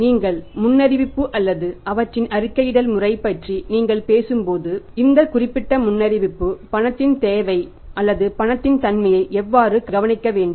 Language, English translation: Tamil, When you talk about the forecasting or the reporting system this particular thing, forecasting, how we can forecast the requirement of cash or the availability of the cash